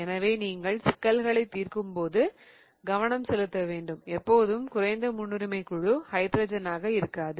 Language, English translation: Tamil, So, you need to pay attention while you are solving problems that not always the least priority group will be hydrogen